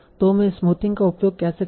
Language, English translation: Hindi, So how do I use smoothing